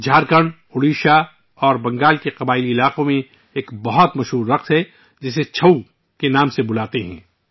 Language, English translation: Urdu, There is a very famous dance in the tribal areas of Jharkhand, Odisha and Bengal which is called 'Chhau'